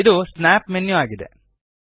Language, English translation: Kannada, This is the Snap menu